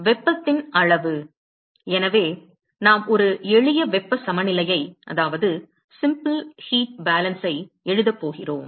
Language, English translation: Tamil, The amount of heat so, we are going to write a simple heat balance